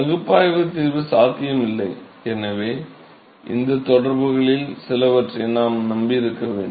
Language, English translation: Tamil, No analytical solution is possible and therefore, we have to rely upon something, some of these correlations